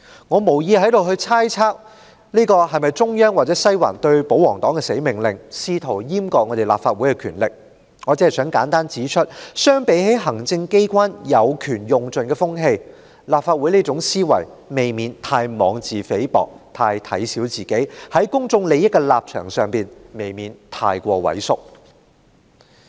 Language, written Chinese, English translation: Cantonese, 我無意在這裏猜測這是否中央或西環對保皇黨的"死命令"，試圖閹割立法會的權力，我只想簡單指出，相比行政機關有權盡用的風氣，立法會這種思維未免太妄自菲薄，太小看自己，在公眾利益的立場上太過畏縮。, I have no intention to speculate here about whether this is an imperative order given to Members of the pro - Government camp by the Central Government or the Western District in an attempt to emasculate the powers of the Legislative Council . I wish only to point out simply that compared with the trend of exploiting powers to the fullest prevalent in the executive the Legislative Council is unduly belittling and deprecating to itself in attitude and far too timid in its stance on issues of public interest